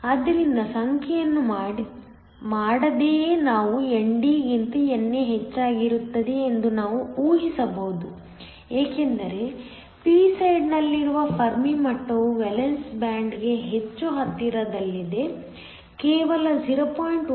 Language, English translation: Kannada, So, even without doing the numbers we could have predicted that NA will be higher than ND simply because the Fermi level on the p side is located much is closer to the valence band it is only 0